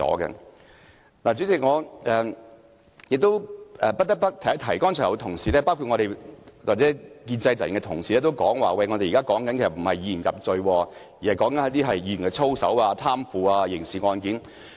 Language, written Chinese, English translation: Cantonese, 代理主席，不得不提的是，剛才有同事，包括建制派的同事表示，我們不是要以言入罪，而是討論有關議員操守或貪腐的刑事案件。, Deputy President I must mention one thing . Just now some Honourable colleagues including Members from the pro - establishment camp said that we are not trying to incriminate a person for his words but we are discussing a criminal case pertaining to a Members conduct or corruption